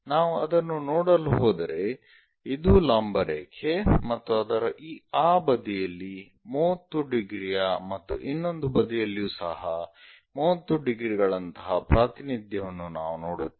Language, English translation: Kannada, So, if we are going to look it this is the vertical line something like 30 degrees on that side and also on that side 30 degrees kind of representation we will see